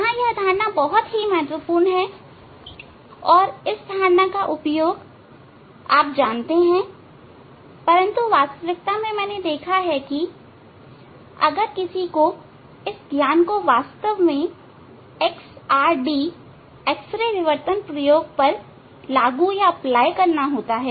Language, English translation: Hindi, There this concept is very important and use this concept although you know but when in reality, I have seen that one has to really implement this knowledge to that experiment XRD X ray diffraction experiment